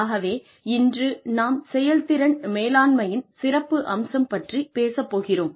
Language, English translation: Tamil, Today, we will talk about, the specifics of performance management